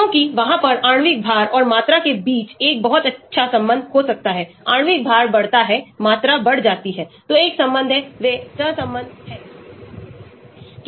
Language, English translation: Hindi, Because there is; there could be a very good relationship between molecular weight and volume, the molecular weight increases, volume increases, so there is a relationship, they are correlated